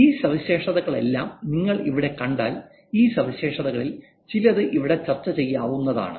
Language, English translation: Malayalam, If you see here, all these features, some of these features can be discussed here